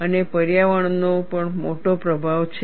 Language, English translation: Gujarati, And environment also has a large influence